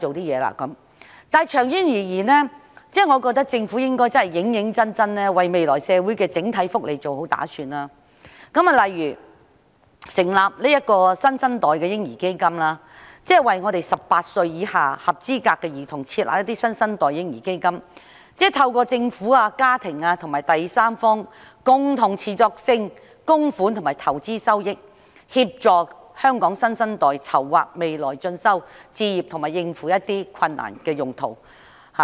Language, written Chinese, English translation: Cantonese, 然而，長遠而言，我認為政府應該認真為未來社會的整體福利作好打算，例如成立新生代的嬰兒基金，為18歲以下合資格的兒童設立新生代嬰兒基金，利用政府、家庭及第三方共同持續性的供款和投資收益，協助香港新生代籌劃未來進修、置業及應付一些困難。, In the long run however I think the Government should seriously plan well for the general well - beings of society in the future . For example it should set up a New Generation Baby Fund . This fund set up for eligible children aged 18 or below seeks to use contributions from the Government families and third parties as well as investment returns to help our next generation make plans for further studies purchase homes and prepare for challenges